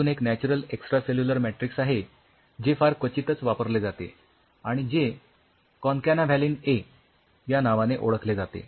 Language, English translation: Marathi, There is one more natural extracellular matrix which is very rarely used, which is called Concana Valin A